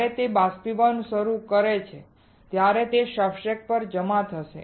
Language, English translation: Gujarati, When it starts evaporating, it will get deposited onto the substrates